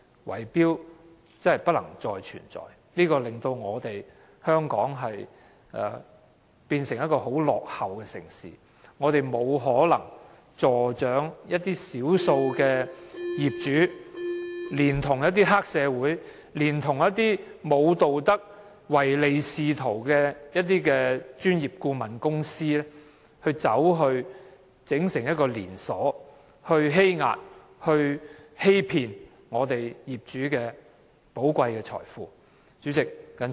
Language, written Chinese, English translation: Cantonese, 圍標真的不能再存在，這會令香港變成一個十分落後的城市，我們不可能助長少數業主聯同黑社會、一些沒有道德及唯利是圖的專業顧問公司，以連鎖組織的方式欺壓業主，欺騙業主寶貴的財富。, Bid - rigging should be wiped out for it is turning Hong Kong into a backward city . We cannot condone the collusion of a small number of owners triads and certain unscrupulous and mercenary professional consultancies which seek to exploit owners through the chain - organization approaches and cheat owners out of their wealth